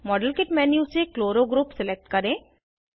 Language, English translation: Hindi, Select Chloro group from the model kit menu